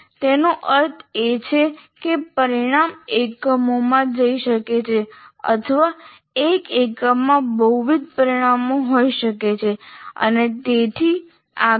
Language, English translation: Gujarati, That means, my outcome may go across the units or one unit may have multiple outcomes and so on